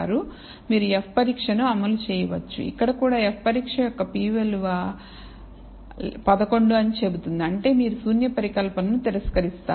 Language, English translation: Telugu, You can run an f test, here also it says the p value of the f test is minus 11, which means you will reject the null hypothesis